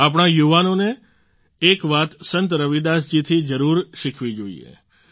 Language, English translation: Gujarati, Our youth must learn one more thing from Sant Ravidas ji